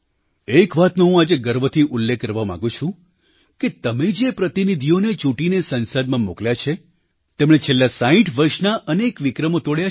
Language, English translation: Gujarati, Today, I wish to proudly mention, that the parliamentarians that you have elected have broken all the records of the last 60 years